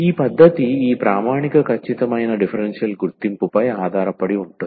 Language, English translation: Telugu, So, this method is based on the recognition of this some standard exact differential